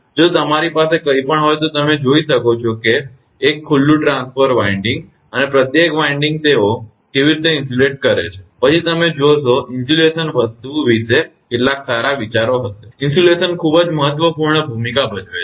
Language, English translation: Gujarati, If you have anything you can see 1 open transformer winding, and each winding how they insulated right, then you will be you will have some good ideas about insulation thing insulation plays a very significant role